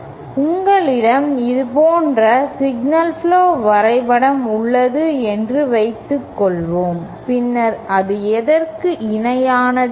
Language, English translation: Tamil, Suppose you have a signal flow graph diagram like this, then this is equivalent to this